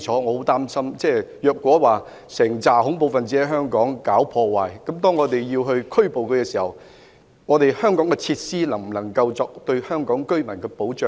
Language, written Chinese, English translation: Cantonese, 我很擔心如果有一批恐怖分子在香港搞破壞，而我們將他們拘捕後，香港的設施能否為香港市民提供保障。, I am seriously concerned if the local facilities can provide adequate protection for the people of Hong Kong if a group of terrorists causing disturbances in Hong Kong was arrested